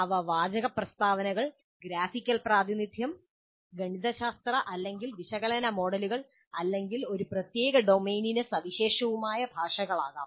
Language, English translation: Malayalam, They can be textual statements, graphical representations, mathematical or analytical models, or languages which are very specific and unique to a particular domain